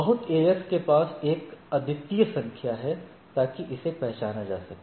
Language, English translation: Hindi, So, every AS has a unique number right so that it is identified